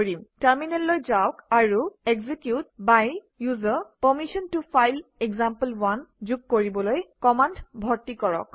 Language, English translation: Assamese, Move to terminal and enter the command to add execute by user permission to file example1